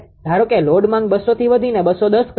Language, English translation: Gujarati, Suppose load demand has increased from 200 to say 210